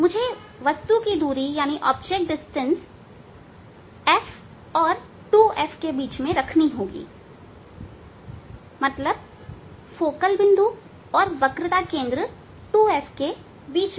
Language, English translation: Hindi, I must keep the keep the distance, I have to keep the distance of the object will keep between f and 2f means, between a focal point and the at the point of ready centre of curvature 2f c